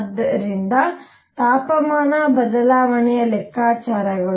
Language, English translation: Kannada, So, the calculations of temperature change